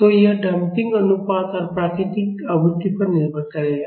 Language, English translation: Hindi, So, that will depend upon the damping ratio and the natural frequency